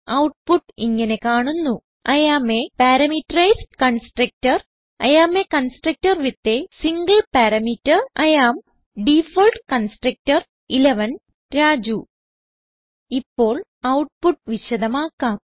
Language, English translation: Malayalam, We get the output as I am a Parameterized Constructor I am a constructor with a single parameter I am Default Constructor 11 and Raju Now, I will explain the output